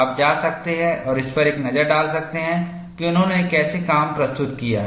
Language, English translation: Hindi, You can go and have a look at it, how he has presented his work